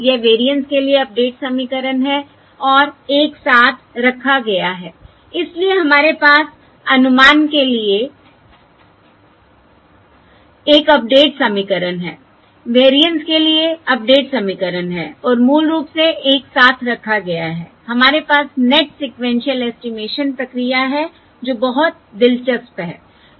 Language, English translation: Hindi, This is the update equation for the variance and put together so we have an update equation for the estimate, update equation for the variance and put together basically we have the net sequential estimation procedure